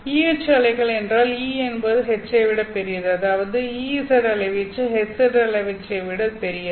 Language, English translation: Tamil, E H waves means that E is greater than H, that is EZ amplitude